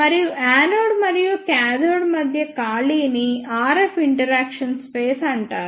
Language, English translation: Telugu, And the space between anode and cathode is called as RF interaction space